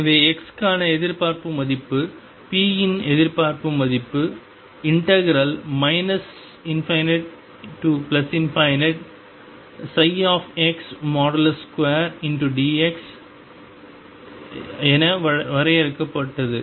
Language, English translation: Tamil, So, expectation value for x and expectation value of p were define as minus infinity to infinity psi x square x dx